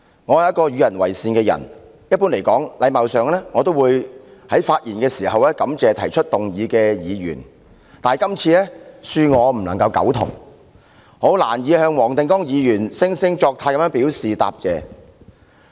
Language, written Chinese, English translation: Cantonese, 我是一個與人為善的人，一般而言，基於禮貌，我都會在發言時感謝提出議案的議員，但對於今天這項議案，恕我不敢苟同，因此難以向黃定光議員的惺惺作態表示答謝。, I am a lenient person and normally as a matter of courtesy I would thank the Member who moved the motion when I spoke . However as for this motion moved today I am sorry that I must respectfully disagree with him and so it is hard for me to show my gratitude to Mr WONG Ting - kwong for his hypocrisy